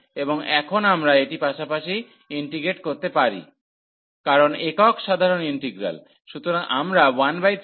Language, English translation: Bengali, And now we can integrate this as well because the single simple integral